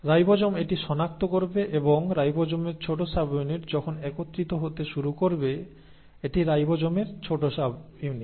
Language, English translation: Bengali, So the ribosome will recognise this and the small subunit of ribosome will then start assembling, this is the small subunit of ribosome